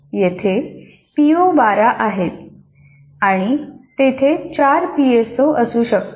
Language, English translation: Marathi, There are 12 POs and there can be 4 PSOs